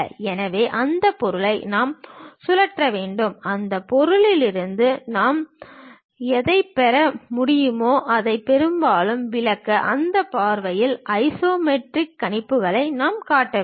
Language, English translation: Tamil, So, we have to rotate that object in such a way that, most description whatever we can get from that object; in that view we have to show these isometric projections